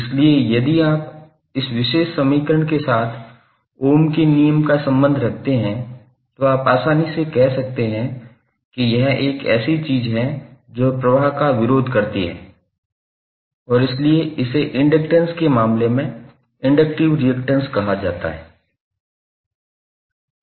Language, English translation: Hindi, So if you correlate that Ohm's law with this particular equation, you can easily say that this is something which resist the flow and that is why it is called inductive reactance in case of inductor